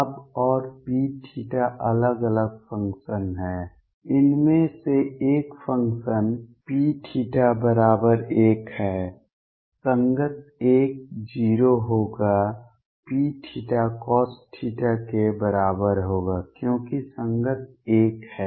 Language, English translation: Hindi, Now and p theta are different functions, one of the functions is P theta equals 1 corresponding l will be 0, P theta equals cosine of theta corresponding l is 1